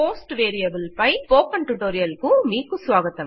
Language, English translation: Telugu, Welcome to the Spoken Tutorial on Post variable